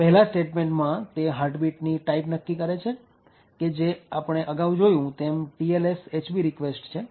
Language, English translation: Gujarati, First thing that server would do is determine the heartbeat type which as we have seen before is the TLS HB REQUEST